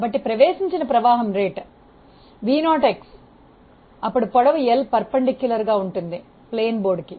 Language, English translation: Telugu, So, the rate of flow that was entering is v naught into x, now the length perpendicular to the plane of the board is L